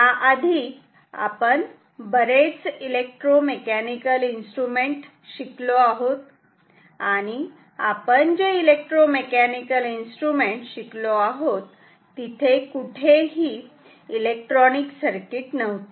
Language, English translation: Marathi, So, far we have studied classic mostly classical electromechanical instruments; all instruments that we have studied were electromechanical there were no electronic circuit at all